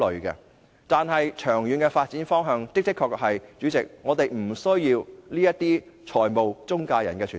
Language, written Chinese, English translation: Cantonese, 代理主席，但長遠的發展方向是我們的確不需要中介公司。, But in the long run Deputy President intermediaries are indeed dispensable